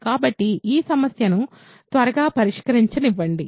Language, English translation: Telugu, So, let me quickly solve this problem